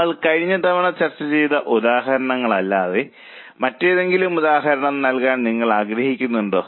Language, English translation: Malayalam, Any example would you like to give other than the examples which we discussed last time